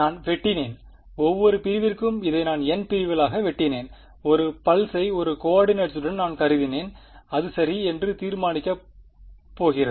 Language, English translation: Tamil, I have chopped up; I have chopped up this into n segments for each segment I have assumed 1 pulse with a coefficient that is going to be determined ok